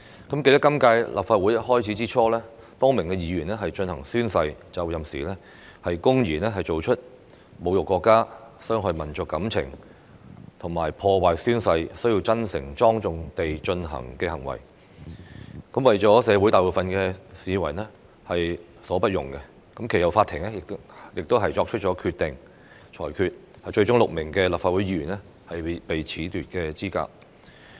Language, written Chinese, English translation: Cantonese, 我記得今屆立法會開始之初，多名議員在進行宣誓就任時，公然作出侮辱國家、傷害民族感情和阻礙宣誓真誠、莊重地進行的行為，為社會大部分市民所不容，其後法庭亦作出裁決，最終6名立法會議員被褫奪資格。, I remember that at the beginning of the current term of the Legislative Council a number of Members blatantly committed while taking the oath for assuming office acts of insulting the country hurting the national feelings and impeding the sincere and solemn oath - taking procedures . Majority of members of the public considered these acts unacceptable . The court subsequently ruled that six Members of the Legislative Council were disqualified